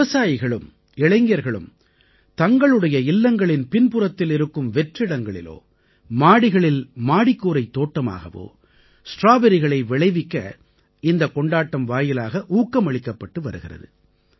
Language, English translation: Tamil, Through this festival, farmers and youth are being encouraged to do gardening and grow strawberries in the vacant spaces behind their home, or in the Terrace Garden